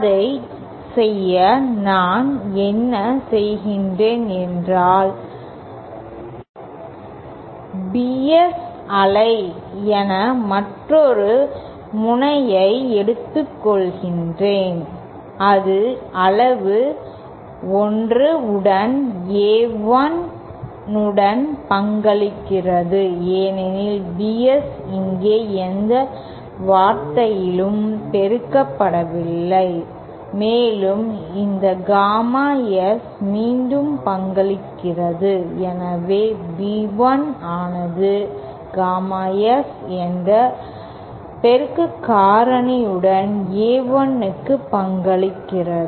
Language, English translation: Tamil, To do that, what I do is I take another node as as the wave BS and it contributes to A1 with the magnitude 1 because BS is not multiplied by any term here and this gamma S is contributing back, so B1 is also contributing to A1 with the multiplicative factor gamma S